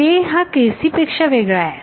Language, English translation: Marathi, k is different from k naught